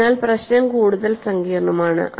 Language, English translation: Malayalam, So, the problem is much more complex